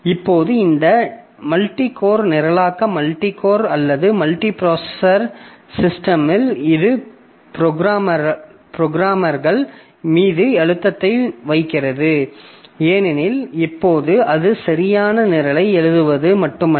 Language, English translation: Tamil, Now, so this multi core programming, so multi core or multi processor systems are, it places pressure on the programmers because now it is not only writing a correct program that is important